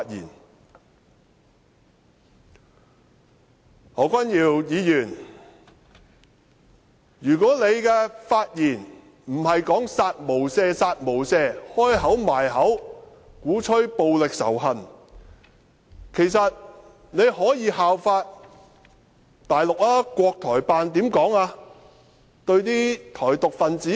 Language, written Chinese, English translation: Cantonese, 如果何君堯議員的發言不是說"殺無赦，殺無赦"，張口閉口鼓吹暴力仇恨，其實他可以效法大陸，國台辦怎樣對台獨分子說？, If Dr Junius HOs did not focus his speech on kill without mercy or advocate violence or hatred constantly he could actually follow the example of the Mainland . How does the Taiwan Affairs Office talk to the pro - independence Taiwanese?